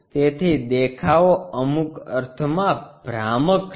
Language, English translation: Gujarati, So, the views are in some sense misleading